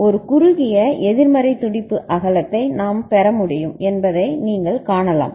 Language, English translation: Tamil, And you can see that we can get a narrow pulse width which is negative going ok